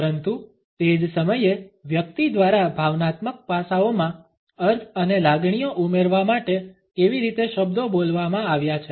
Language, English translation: Gujarati, But at the same time how the words have been spoken by a person to add the connotations and feelings in emotional aspects to it